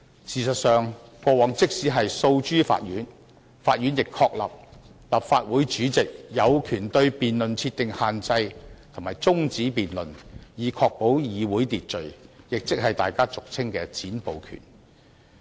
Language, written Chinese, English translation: Cantonese, 事實上，過往即使訴諸法院，法院亦確立立法會主席有權對辯論設定限制及中止辯論，以確保議會秩序，亦即是大家俗稱的"'剪布'權"。, In fact in a previous court case the Court already held that the President of the Legislative Council has the power to set limits on a debate and terminate a debate so as to ensure order in the Council . This is what we commonly call the power to cut off a filibuster